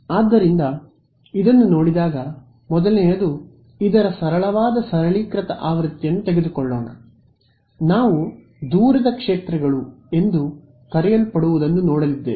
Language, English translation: Kannada, So, looking at this the first thing to do is let us take a simple simplified version of this, when we say that we are going to look at what are called far fields ok